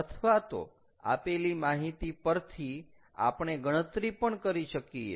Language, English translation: Gujarati, otherwise from the given data we can also calculate